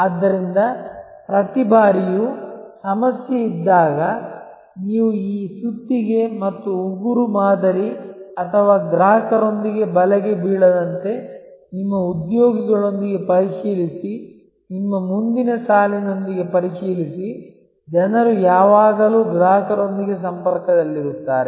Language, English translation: Kannada, So, every time there is a problem, so that you do not fall into this hammer and nail paradigm or trap check with the customer, check with your employees, check with your front line, the people always in contact with the customers